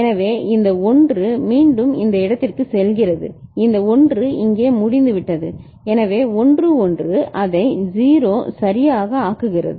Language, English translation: Tamil, So, this 1 is again going back to this place this 1 is over here so 1 1 is making it 0 right